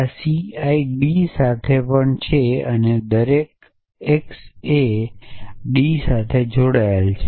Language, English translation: Gujarati, So, this C I also belong to D and x A is also belongs to D